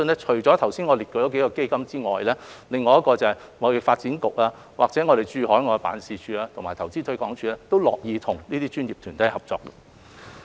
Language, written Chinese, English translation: Cantonese, 除了剛才列舉的數個基金以外，貿發局、駐海外的經濟貿易辦事處和投資推廣署，都樂意和這些專業團體合作。, In addition to the several funds I have just mentioned there are also TDC Hong Kong Economic and Trade Offices overseas as well as Invest Hong Kong which are willing to work with the professional bodies towards this end